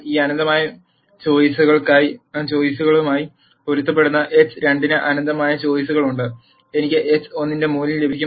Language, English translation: Malayalam, There are in nite choices for x 2 corresponding to each one of these infinite choices, I will get a value of x 1